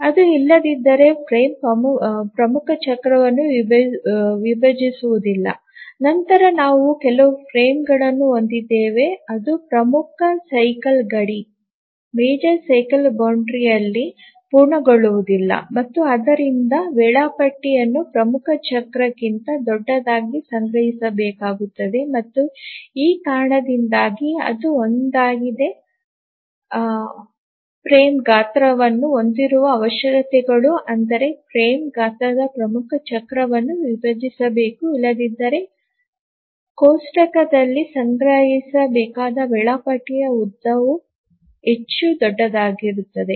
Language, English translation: Kannada, If it doesn't, the frame doesn't divide the major cycle, then we have some frame which does not complete at the major cycle boundary and therefore the schedule has to be stored much larger than the major cycle and that is the reason why one of the requirements for setting of the frame size is that the frame size must divide the major cycle